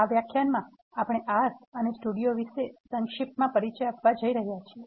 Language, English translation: Gujarati, This lecture, we are going to give a brief introduction about R and Studio